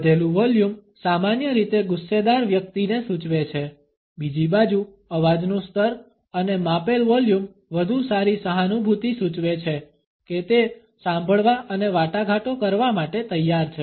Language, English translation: Gujarati, An increased volume normally indicates an angry person, on the other hand a level and measured volume of the voice suggest a better empathy the willingness to talk to listen and to negotiate